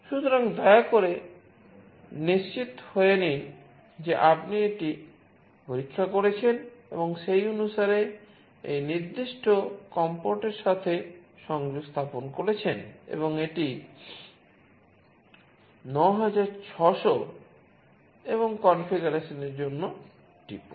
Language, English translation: Bengali, So, please make sure you check that and accordingly connect to that particular com port, and this is 9600 and press for the configuration